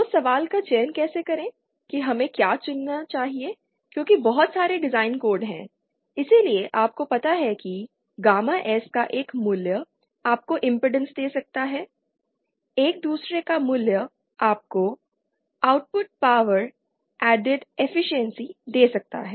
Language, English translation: Hindi, So how to select question is how to what should we select because there are so many design codes so you know one value of gamma S might give you impedance matching one another value might give you output power added efficiency